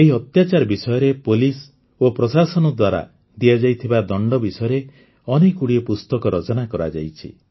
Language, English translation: Odia, Many books have been written on these atrocities; the punishment meted out by the police and administration